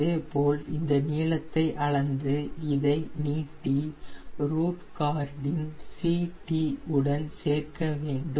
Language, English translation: Tamil, similarly, measure this length and extend this length on root chord, ct